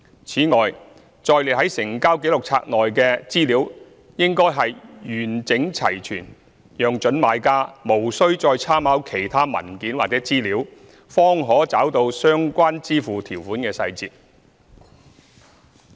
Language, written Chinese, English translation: Cantonese, 此外，載列在成交紀錄冊內的資料應完整齊全，讓準買家無須再參考其他文件或資料，才找到相關支付條款的細節。, Moreover the Register of Transactions should be self - contained so that prospective purchasers do not have to refer to other documents or materials for details of the terms of payment